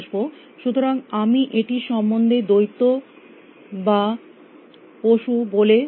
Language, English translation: Bengali, So, I keep talking about these as a monster and a beast